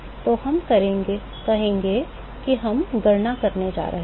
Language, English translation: Hindi, So, will say we are going to calculate the